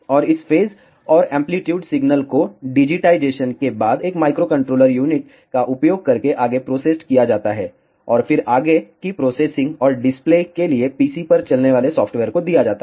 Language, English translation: Hindi, And, this phase and amplitude signal is further processed using a microcontroller unit after digitization, and then given to a software running on a PC for further processing and display